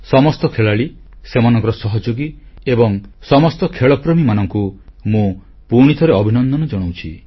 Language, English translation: Odia, I extend my congratulations and good wishes to all the players, their colleagues, and all the sports lovers once again